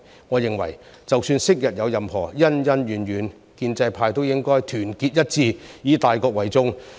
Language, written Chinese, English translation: Cantonese, 我認為，即使昔日有任何恩恩怨怨，建制派亦應團結一致，以大局為重。, In my opinion even if there were any grudges and grievances in the past Members from the pro - establishment camp should be united and take the overall situation into consideration